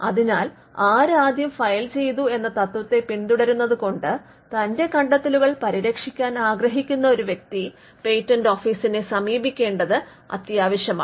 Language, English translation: Malayalam, So, because it follows the first to file in principle it is necessary that a person who wants to protect his invention approaches the patent office